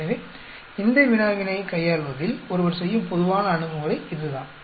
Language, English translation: Tamil, So, that is the general approach by which one goes about handling this problem